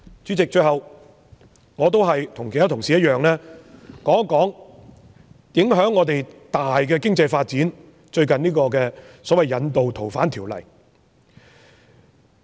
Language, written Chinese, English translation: Cantonese, 主席，最後，我和其他同事一樣，談談影響我們重大的經濟發展、最近提出有關《逃犯條例》的修訂。, President finally like other Members I would like to talk about the recent proposal to amend the Fugitive Offenders Ordinance which will greatly affect our economic development